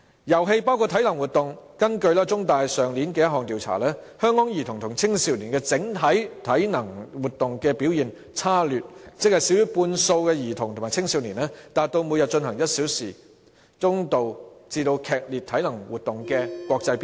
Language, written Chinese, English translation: Cantonese, 遊戲包括體能活動，根據香港中文大學去年一項調查，香港兒童和青少年的整體體能活動表現差劣，少於半數的兒童和青少年達到每天進行1小時中度至劇烈體能活動的國際標準。, Games include physical activities . According to a survey conducted by The Chinese University of Hong Kong last year the overall performance of Hong Kong children and teenagers in physical activities was poor . Less than half of the children and teenagers reached the international standard of doing moderate to vigorous physical activities for an hour every day